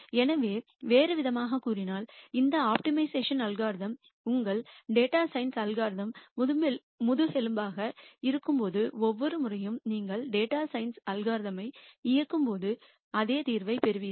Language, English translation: Tamil, So, in other words when this optimization algorithm is the backbone of your data science algorithm every time you run the data science algorithm you will get the same solution